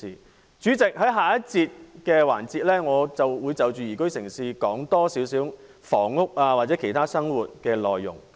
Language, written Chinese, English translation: Cantonese, 代理主席，在下一個環節我會就宜居城市，多談房屋和其他與生活相關的內容。, Deputy President in the next session I will speak more on housing and other aspects of life regarding the topic of Liveable City